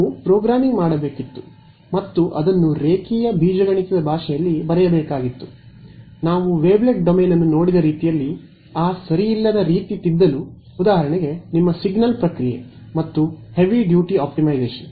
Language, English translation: Kannada, We of course, had to write it in the language of linear algebra we had to do programming and to get that ill posedness out of the way we looked at the wavelet domain for example, that is your signal processing and heavy duty optimization